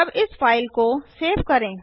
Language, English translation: Hindi, Let us save the file now